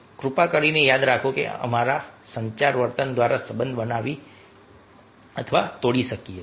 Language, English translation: Gujarati, please remember, we can make or break relationship through our communication behavior